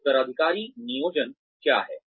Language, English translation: Hindi, What is succession planning